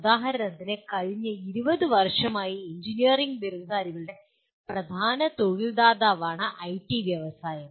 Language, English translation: Malayalam, For example you have last 20 years IT industry has been the dominant employer of the engineering graduates